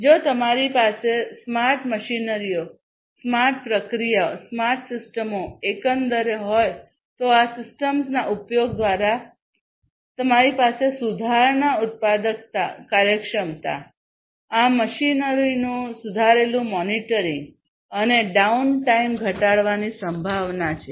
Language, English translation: Gujarati, So, if you have smarter machineries, smarter processes, smarter systems overall, it is quite likely through the use of these systems you are going to have improved productivity, efficiency, you know, improved monitoring of this machinery, reducing the down time and so on